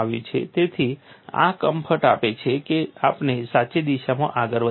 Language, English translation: Gujarati, So, this gives a comfort that we are preceding in the right direction